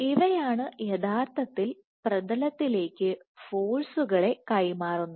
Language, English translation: Malayalam, These are the ones which actually transfer forces to the substrate